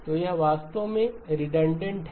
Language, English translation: Hindi, So this is actually redundant